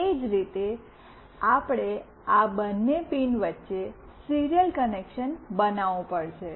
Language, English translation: Gujarati, Similarly, we have to build a serial connection between these two pins